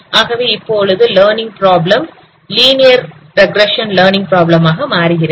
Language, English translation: Tamil, So your learning problem here is a linear regression learning problem